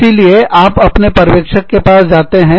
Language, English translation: Hindi, So, you approach, your supervisor